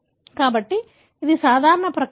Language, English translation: Telugu, So, this is a normal process